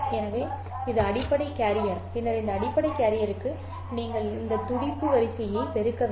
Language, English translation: Tamil, So, this is the basic carrier and then to this basic carrier you need to multiply this pulse sequence